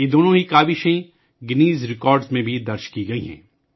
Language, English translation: Urdu, Both these efforts have also been recorded in the Guinness Records